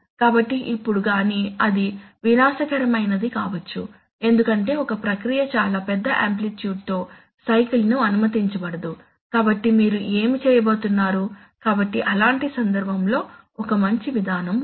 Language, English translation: Telugu, So, now but then that may be disastrous, because a process may not be allowed to cycle with a with a very large amplitude, so then what are you going to do, so in such a case there is a nice procedure which says that